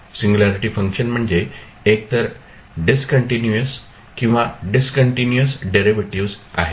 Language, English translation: Marathi, Singularity functions are those functions that are either discontinuous or have discontinuous derivatives